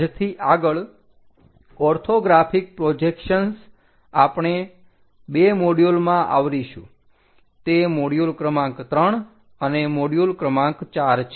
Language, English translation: Gujarati, From now onwards, orthographic projections in 2 modules we will cover, that is for module number 3 and module number 4